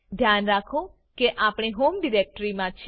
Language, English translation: Gujarati, Remember that we are in the home directory